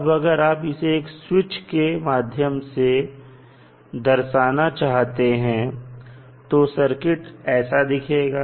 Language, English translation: Hindi, Now, if you want to represent through the switch this would be the circuit